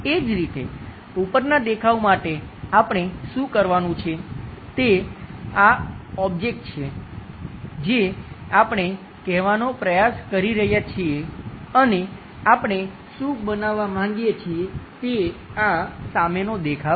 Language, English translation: Gujarati, Similarly, for top view object, what we have to do is this is the object what we are trying to say and what we want to make is this one front view